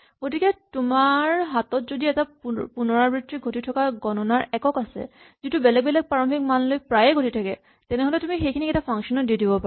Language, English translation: Assamese, So if you have a unit of computation which is done repeatedly and very often done with different possible starting values then you should push it aside into a function